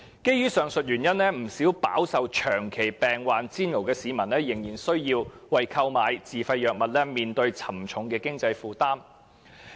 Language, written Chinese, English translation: Cantonese, 基於上述原因，不少飽受長期病患煎熬的市民仍須為購買自費藥物，面對沉重的經濟負擔。, Under such circumstances the need to purchase self - financed drugs has created a heavy financial burden on many people who suffer from chronic illnesses